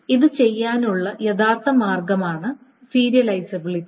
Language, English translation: Malayalam, And to do that, we define the notion of serializability